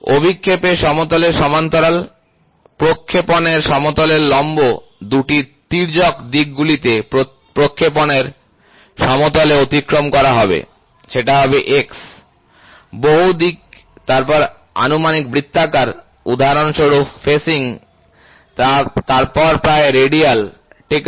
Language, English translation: Bengali, Parallel to the plane of projection, perpendicular to the plane of projection crossed in 2 oblique directions to plane of projection will be X, multi direction then approximate circular for example; facing, then approximately radial, ok